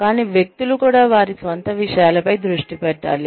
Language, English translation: Telugu, But, individuals could also be focusing on their own selves